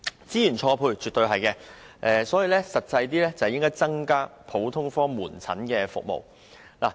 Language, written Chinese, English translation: Cantonese, 這樣絕對是資源錯配，所以政府應切實加強普通科門診服務。, I think it is definitely a mismatch of resources and the Government ought to practically enhance the provision of general outpatient services